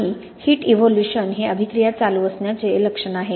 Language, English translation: Marathi, And this heat evolution is a signature the reaction is going on